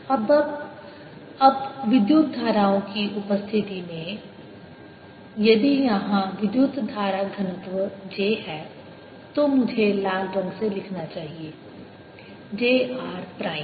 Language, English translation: Hindi, now, in presence of currents, if there is a current density, j, now let me write with red j r prime